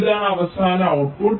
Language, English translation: Malayalam, this is the final output right now